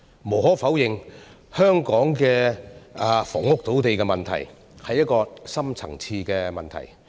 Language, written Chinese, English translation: Cantonese, 無可否認，香港的房屋土地問題，是一個深層次的問題。, There is no denying that Hong Kongs housing problem is deep - seated